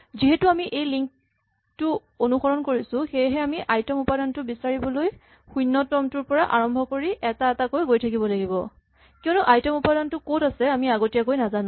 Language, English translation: Assamese, Since we have to follow these links the only way to find out where the ith element is is to start from the 0th element and then go to the first element then go to the second element and so on, because a priori we have no idea where the ith element is